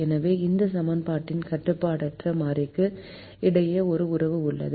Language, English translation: Tamil, so there is a relationship between this equation and the unrestricted variable